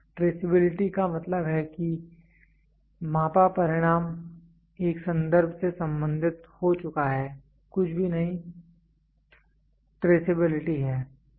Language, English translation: Hindi, So, traceability means that a measured result can be can be related to a reference is nothing, but the traceability